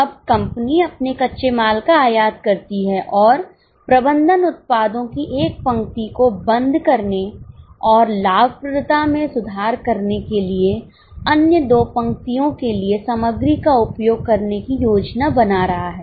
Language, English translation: Hindi, Now, the company imports its raw material and the management is planning to close down one of the lines of products and utilize the material for the other two lines for improving the profitability